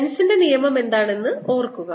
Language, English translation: Malayalam, remember what is lenz's law